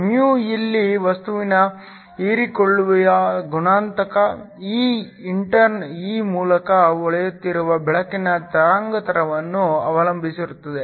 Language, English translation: Kannada, μ here, is the absorption coefficient of the material, this intern depends upon the wavelength of the light that is shining through this